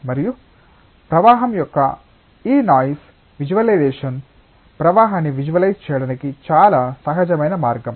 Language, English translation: Telugu, And this noise visualisation of flow is a very natural way of visualising the flow